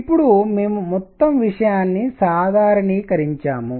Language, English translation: Telugu, Now we have normalized the whole thing, alright